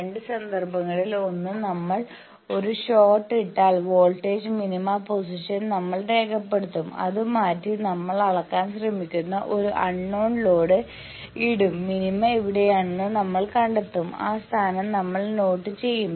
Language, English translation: Malayalam, In two cases one is if we put a short we will note down the voltage minima position, then we will change that and put a unknown load which we are trying to measure we will find out where is the minima we will note that position, that shift we are calling l mean